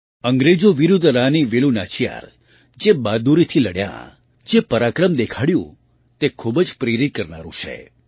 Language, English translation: Gujarati, The bravery with which Rani Velu Nachiyar fought against the British and the valour she displayed is very inspiring